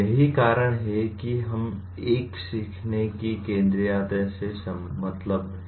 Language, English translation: Hindi, That is what we mean by a learner centricity